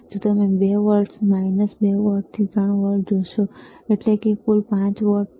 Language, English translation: Gujarati, iIf you see minus 2 volt to 3 volts; that means, total is 5 volts